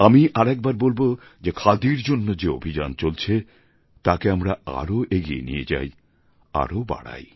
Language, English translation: Bengali, I once again urge that we should try and take forward the Khadi movement